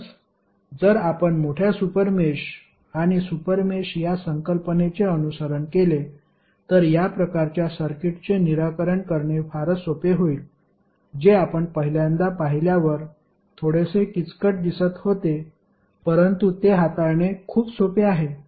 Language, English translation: Marathi, So, if you follow the concept of larger super mesh and the super mesh it is very easy to solve these kind of circuits which looks little bit complicated when you see them for first time but it is very easy to handle it